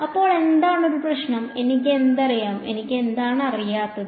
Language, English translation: Malayalam, So, what is a problem, what do I know, what do I not know